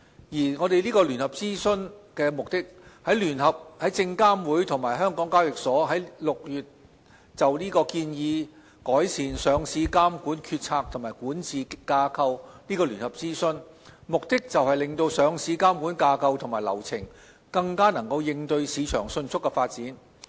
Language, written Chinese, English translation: Cantonese, 證監會及港交所在今年6月就"建議改善香港聯合交易所有限公司的上市監管決策及管治架構"展開聯合諮詢，目的就是令上市監管架構及流程更能應對市場迅速的發展。, SFC and HKEx conducted in June this year a joint consultation on Proposed Enhancements to the Stock Exchange of Hong Kong Limiteds Decision - Making and Governance Structure for Listing Regulation with the aim of enabling the listing regulatory structure and procedures to better respond to rapid developments in the market